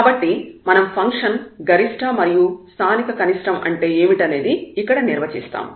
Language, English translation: Telugu, So, what is local maximum and minimum we will define here